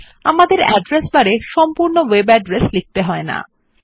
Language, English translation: Bengali, We dont have to type the entire web address in the address bar